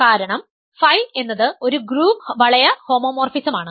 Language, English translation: Malayalam, So, let phi be a ring homomorphism